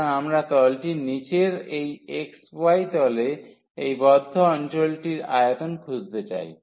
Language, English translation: Bengali, So, we want to find the volume below the surface and over this enclosed area in the xy plane